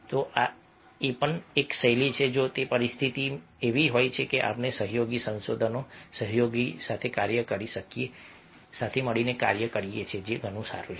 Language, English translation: Gujarati, so this is also one of the styles that, if the situation is such that we can have collaborative research, collaborative work, that is better